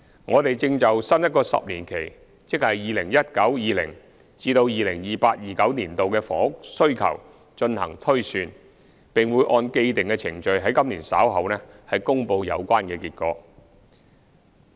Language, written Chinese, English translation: Cantonese, 我們正就新一個10年期的房屋需求進行推算，並會按既定程序於今年稍後公布有關結果。, We are now working on the housing demand projections for the new 10 - year period and will announce the results later this year in accordance with the established procedure